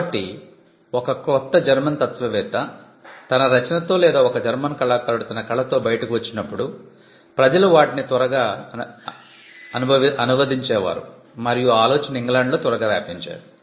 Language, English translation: Telugu, So, when you found a new German philosopher coming up with his work or a German artist coming up with this work, you found quickly people translating them and that idea spreading in England